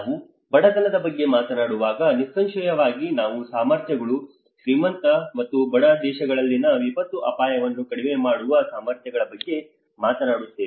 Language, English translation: Kannada, When we talk about poverty, obviously we are talking about the abilities and the capacities, the disaster risk reduction capacities in richer and poor countries